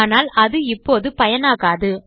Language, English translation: Tamil, But it is useless to us at the moment